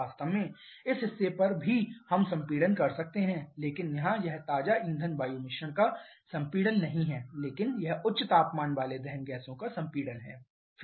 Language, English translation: Hindi, In fact, over this portion also we can have compression but here it is not compression of fresh fuel air mixture but it is compression of high temperature combustion gases